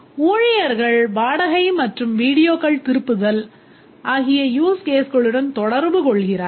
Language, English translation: Tamil, The staff, they interact with the rent and return videos use case